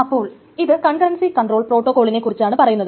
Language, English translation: Malayalam, So this is about concurrency control protocols